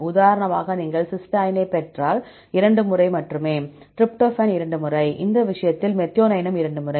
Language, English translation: Tamil, For example if you see cysteine, only 2 times, tryptophan 2 times, for this case, methionine also 2 times